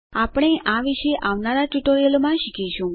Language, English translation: Gujarati, We will learn about these in the coming tutorials